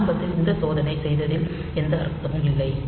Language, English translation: Tamil, So, there is no point doing this check at the beginning